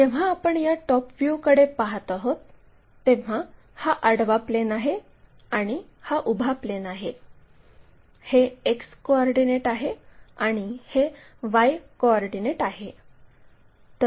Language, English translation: Marathi, When we are looking top view this one, this is the horizontal plane and this is the vertical plane, X coordinate, Y coordinates visible